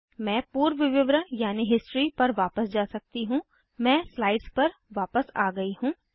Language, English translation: Hindi, I can go back to the history I have returned to the slide